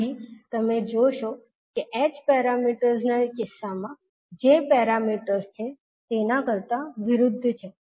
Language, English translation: Gujarati, So here you will see the parameters are opposite to what we had in case of h parameters